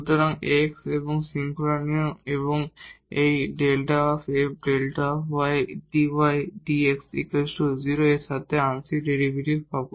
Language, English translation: Bengali, So, we will get a partial derivative with respect to x and the chain rule plus this del f over del y and then dy over dx is equal to 0